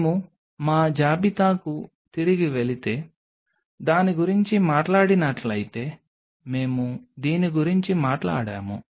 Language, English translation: Telugu, If we talk about if we go back to our list, we talked about this